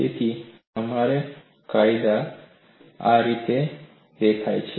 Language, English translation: Gujarati, So, based on this the law appears in this fashion